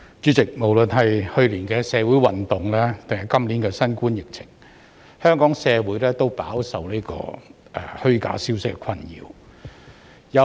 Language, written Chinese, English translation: Cantonese, 主席，不論是去年的社會運動或今年的新冠疫情，香港社會都飽受虛假消息的困擾。, President whether during the social incidents last year or under the coronavirus pandemic this year Hong Kong society has suffered badly from false information